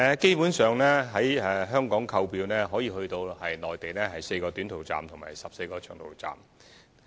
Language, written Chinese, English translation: Cantonese, 基本上，在香港可以購票前往內地4個短途站及14個長途站。, Basically tickets for trips to the 4 short - haul stations and 14 long - haul stations in the Mainland can be purchased here in Hong Kong